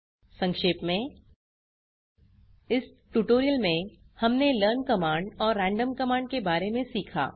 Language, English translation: Hindi, Lets summarize In this tutorial we have learnt about, learn command and random command